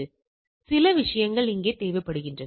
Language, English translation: Tamil, So, these are the things which are required out here